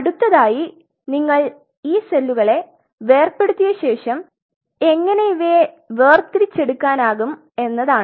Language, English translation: Malayalam, Next once you have dissociated these cells how you can separate out in the cells